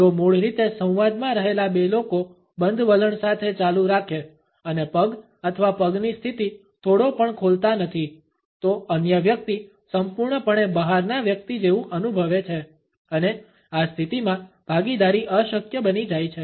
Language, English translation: Gujarati, If the two people who had originally been in the dialogue continue with a closed attitude and do not open their position of the feet or legs even a small bit; the other person feels totally as an outsider and the participation becomes impossible in this position